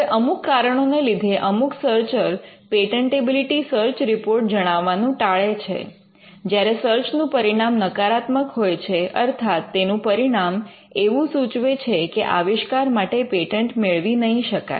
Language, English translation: Gujarati, Now, there are reasons why some professionals do not communicate patentability search report; when the search turns out to be negative; in the sense that the results of the search states that you cannot patent this invention